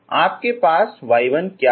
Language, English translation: Hindi, So what is the y 1 you got